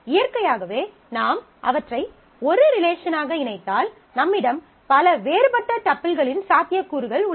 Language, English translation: Tamil, So, naturally if I combine them into a single relation, you have a set of possibilities of multiple different tuples